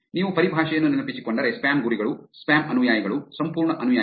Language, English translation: Kannada, So, if you remember the terminology spam targets, spam followers, entire followers